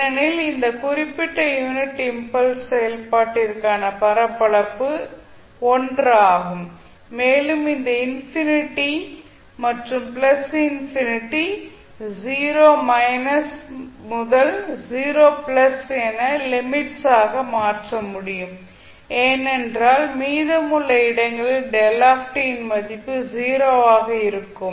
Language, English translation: Tamil, Because the area for this particular unit step function would be 1 and this infinity to plus infinity can be replaced by the limits as 0 minus to 0 plus because the rest of the reason the value of delta t would be 0